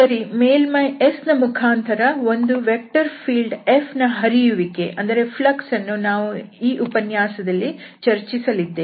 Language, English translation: Kannada, Okay, so having that we have the flux of a vector field F through a surface S which we will discuss here in this lecture